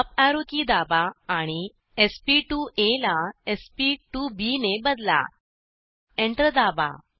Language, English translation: Marathi, Press up arrow key and change sp2a to sp2b, press Enter